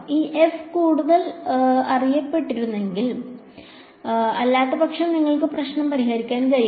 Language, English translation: Malayalam, This f over here had better be known otherwise you cannot solve the problem